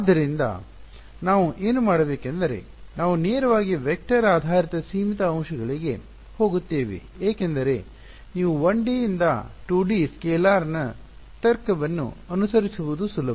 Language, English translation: Kannada, So, what we will do is we will directly jump to vector based a finite elements because you can it is easy for you to follow the logic of 1D to 2D scalar